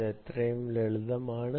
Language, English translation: Malayalam, ok, its as simple as that